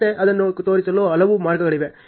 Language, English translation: Kannada, Again, there are so many ways of showing it